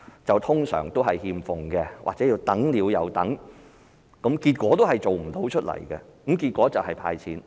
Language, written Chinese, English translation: Cantonese, 這些一般都是欠奉或等了又等，結果同樣做不到，最後還是"派錢"。, Efforts in such aspects have not been seen or no achievements have been made after much waiting while handing out cash turns out to be its ultimate solution